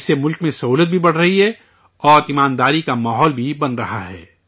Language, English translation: Urdu, Due to this, convenience is also increasing in the country and an atmosphere of honesty is also being created